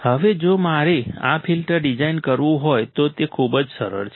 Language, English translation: Gujarati, Now, if I want to design this filter, it is very simple